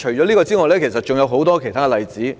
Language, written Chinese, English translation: Cantonese, 此外，還有很多其他例子。, Besides there are many other examples